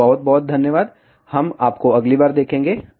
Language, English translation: Hindi, So, thank you very much, we will see you next time